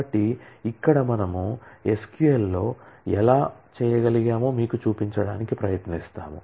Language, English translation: Telugu, So, here we will just try to show you how we can do that in SQL